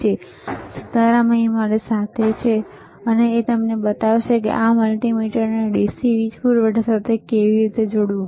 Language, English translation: Gujarati, Sitaram is here to accompany me and he will be showing you how to connect this multimeter to the DC power supply so, let us see